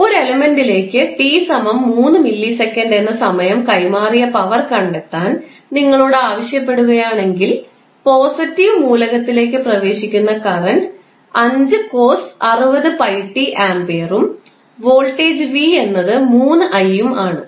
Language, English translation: Malayalam, If you are asked to find the power delivered to an element at time t is equal to 3 millisecond if the current entering its positive element is 5 cos 60 pi t ampere and voltage v is 3i